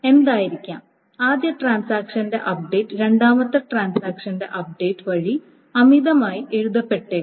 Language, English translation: Malayalam, So, what may happen is that the update by the first transaction may be overwritten by the update of the second transaction